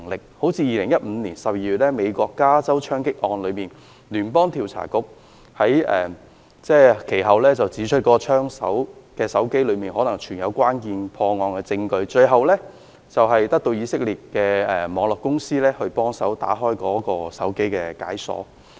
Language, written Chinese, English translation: Cantonese, 美國加州在2015年12月發生槍擊案，聯邦調查局其後指出，槍手的手機中可能存有關鍵的破案證據，最後在得到以色列一家網絡安全公司的協助下，將該手機解鎖。, A shooting case took place in California the United States in December 2015 . The Federal Bureau of Investigation later pointed out that the gunmans mobile phone might contain evidence instrumental to solving the case . Eventually they unlocked that mobile phone with the assistance of an Israeli cyber security firm